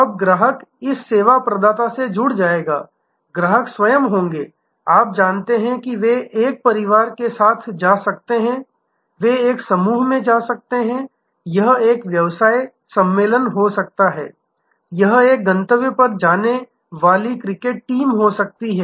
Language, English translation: Hindi, Now, customer's will link to this service provider, the customers themselves will be, you know they may go with a family, they may go in a group, it can be a business convention, it can be a cricket team visiting a destination